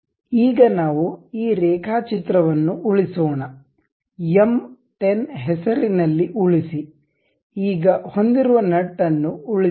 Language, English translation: Kannada, Now, let us save this drawing, save as M 10, now let us have nut and save